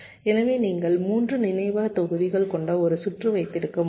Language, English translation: Tamil, so you can have a circuit with three memory modules